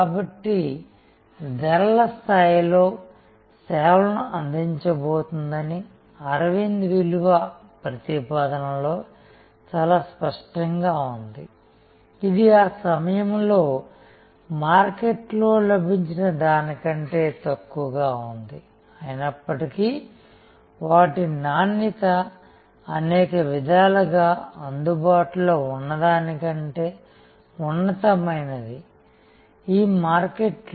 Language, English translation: Telugu, So, Aravind value proposition was very clear that it was going to provide service at a price level, which was at that point of time way lower than what was available in the market, yet their quality was in many ways superior to what was available in the market